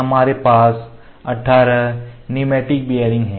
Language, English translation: Hindi, We have 18 pneumatic bearings